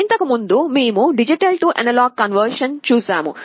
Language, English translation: Telugu, Earlier we had looked at D/A conversion